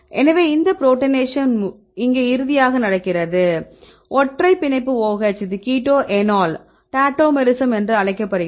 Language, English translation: Tamil, So, this protonation happen here then finally, they see the single bond is OH, this is called the keto enol tautomerism right